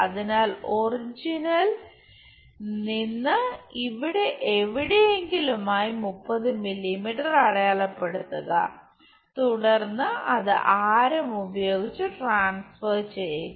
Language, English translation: Malayalam, So, from origin make something like 30 mm somewhere here, then transfer that by radius